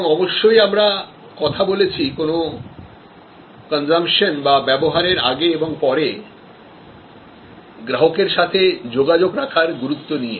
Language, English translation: Bengali, And of course, we have also talked about the importance of communication pre as well as post consumption